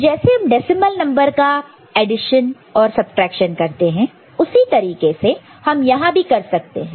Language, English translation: Hindi, So, similar to decimal number addition and subtraction do you usually do, we can follow the same thing over here